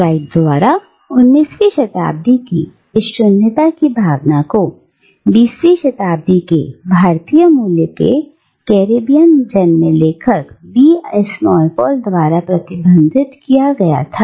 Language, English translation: Hindi, And the sense of nothingness that Froude associated with the Caribbean in the 19th century was again echoed in the 20th century by the Caribbean born author V S Naipaul, an author with Indian origins